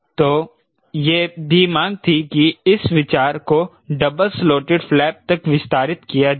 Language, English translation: Hindi, so there was also demand for the idea got extended, double slotted flap